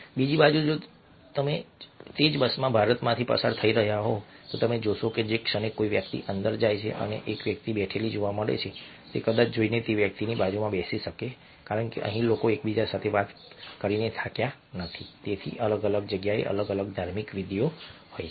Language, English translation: Gujarati, on the other hand, if the same bus is travelling through the country side in india, you might find that the moment a person walks in and finds one person sitting, he might go and sit down next to that person, because here people are not yet tired of having talk to one another